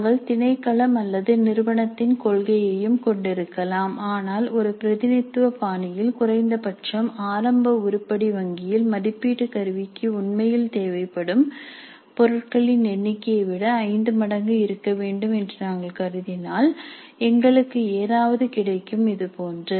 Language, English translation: Tamil, We might be having a policy of the department or the institute also but in a representative fashion if we assume that at least the initial item bank should have five times the number of items which are really required for the assessment instrument, we would get something like this